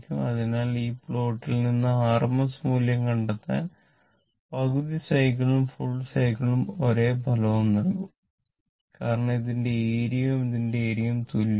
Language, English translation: Malayalam, So, if for making your RMS value, half cycle or full cycle it will give the same result because area of this one and area of this one is same